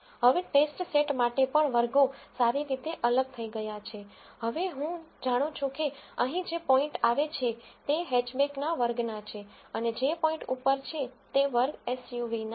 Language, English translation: Gujarati, Now, even for the test set the classes are well separated, now I know that the points which fall here belong to the class of hatchback and the points which are above belong to the class SUV